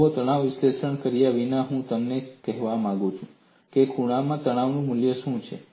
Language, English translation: Gujarati, See, without performing a stress analysis, I want you to tell me, what is the value of stress at the corner